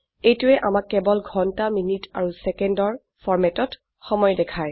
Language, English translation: Assamese, It gives us only the time in hours minutes and seconds (hh:mm:ss) format